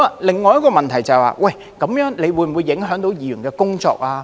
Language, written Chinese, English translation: Cantonese, 另一個問題是，這樣會否影響議員的工作呢？, Another issue is will it affect the work of Members?